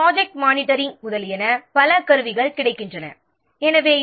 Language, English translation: Tamil, So, several tools are available for project monitoring etc